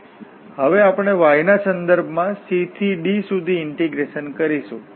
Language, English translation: Gujarati, So again the similar situation so, we will integrate now with respect to y from c to d